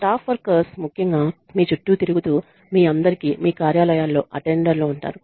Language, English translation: Telugu, The staff workers especially are the people who do all the running around you have attendants in your offices